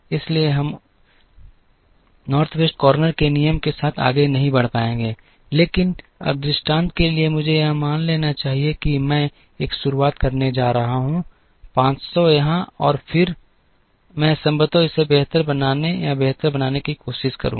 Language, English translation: Hindi, So, we will not be able to proceed with the North West corner rule, but now for the sake of illustration let me assume, that I am going to start with a 500 here and then, I would possibly try and improve it or make it better